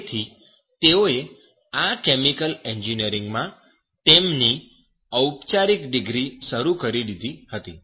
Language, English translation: Gujarati, So they have started their formal degree in this chemical engineering